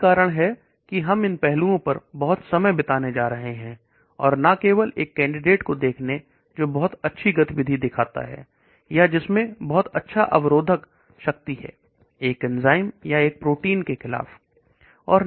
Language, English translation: Hindi, That is why we are going to spend a lot of time on these aspects as well, and not only just looking at a candidate which shows very good activity or which has very good inhibitory power against an enzyme or a protein and so on